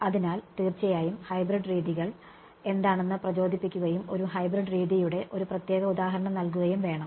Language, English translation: Malayalam, So, of course, we need to motivate what hybrid methods are and give a particular example of a hybrid method